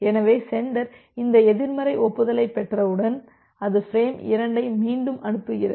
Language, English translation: Tamil, So, once the sender receives this negative acknowledgement it retransmits frame 2